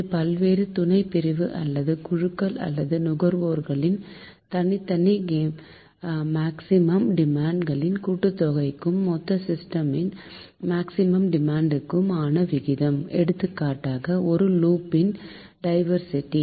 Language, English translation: Tamil, so it is the ratio of the sum of the individual maximum demand of the various sub divisions or groups or consumers to the maximum demand of the whole system, right